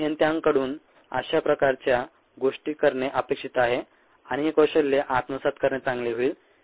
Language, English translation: Marathi, ah, these are the kind of things that engineers are expected to do and it will be good to pick up the skills